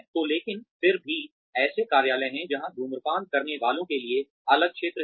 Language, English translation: Hindi, So, but then, there are offices, that have separate zones for smokers